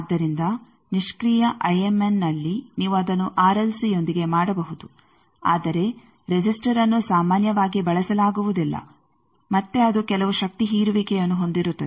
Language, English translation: Kannada, So, in passive IMN again you can make it with R l c, but resistor is generally not used again that it has some power dissipation